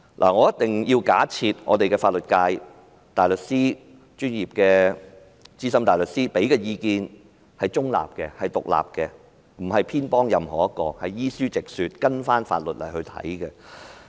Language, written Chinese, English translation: Cantonese, 我必須假設香港的法律界大律師、專業的資深大律師提供的意見是中立及獨立的，不會偏頗任何人，是依書直說，根據法律來提供意見。, I should assume that the advice given by barristers and senior counsels in Hong Kongs legal circle is impartial and independent . It will not be biased to any person because they only follow the books to give their advice according to Hong Kong laws